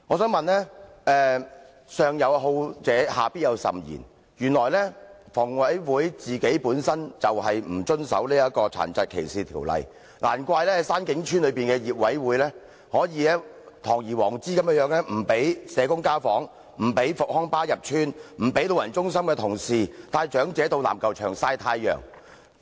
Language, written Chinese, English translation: Cantonese, 正所謂"上有所好，下必甚焉"，房委會本身就不遵守《殘疾歧視條例》，難怪山景邨的管委會可堂而皇之不讓社工進行家訪，不讓復康巴士入邨，不讓老人中心的同事帶長者到籃球場曬太陽。, As the saying goes What the superior loves his inferiors will be found to love exceedingly . As HA does not comply with the Ordinance no wonder the management committee of Shan King Estate can blatantly forbid social workers to conduct home visits disallow rehabilitation buses from entering the Estate and forbid workers from elderly centres from taking the elderly residents to the basketball court for sunbathing